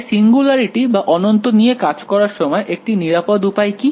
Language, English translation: Bengali, So, when dealing with singularities or infinities what is the one safe way of dealing with them